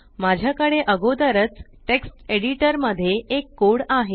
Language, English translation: Marathi, I already have acode in a text editor